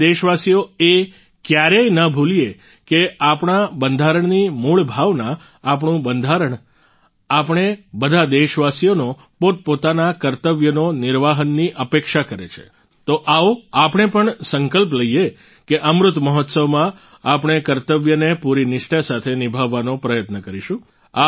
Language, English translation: Gujarati, We the countrymen should never forget the basic spirit of our Constitution, that our Constitution expects all of us to discharge our duties so let us also take a pledge that in the Amrit Mahotsav, we will try to fulfill our duties with full devotion